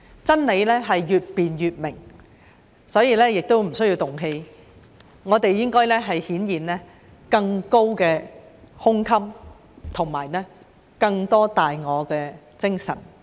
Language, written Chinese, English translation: Cantonese, 真理是越辯越明，所以不需要動氣，我們應該顯現更高的胸襟和更多大我的精神。, The more we debate the clearer the truth is so there is no need to get angry . We should demonstrate a broader mind and a greater sense of selflessness